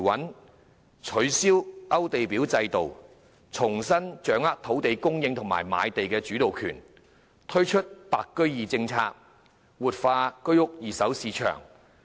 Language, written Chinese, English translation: Cantonese, 政府亦取消勾地表制度，重新掌握土地供應及賣地的主導權，又推行"白居二"政策，活化二手居屋市場。, The Government has also abolished the application list system and regained control over land supply and sales . Besides it has also implemented the policy of extending the Home Ownership Scheme HOS secondary market to white form buyers to revitalize the HOS secondary market